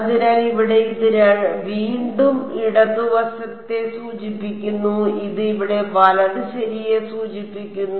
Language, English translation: Malayalam, So, here this again refers to left this here refers to right ok